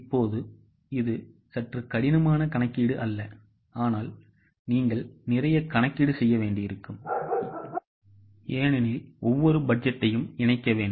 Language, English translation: Tamil, Now, this is a bit tedious calculation, not very difficult but you will to do a lot of calculation because each and every budget will have to be incorporated